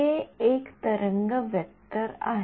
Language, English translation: Marathi, k is a wave vector